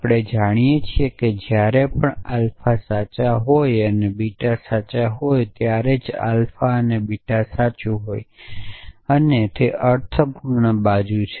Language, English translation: Gujarati, So, we know that alpha and beta is true whenever alpha is true and beta is true and only then essentially